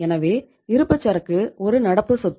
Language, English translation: Tamil, So it means inventory is a current asset